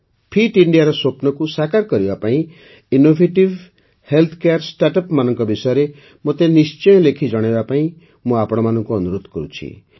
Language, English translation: Odia, I would urge all of you to keep writing to me about innovative health care startups towards realizing the dream of Fit India